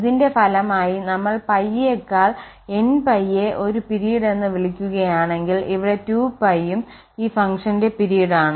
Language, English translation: Malayalam, So, and as a result, we are calling that if pie is the period than n pie is also a period, so here the 2 pie is also period for this function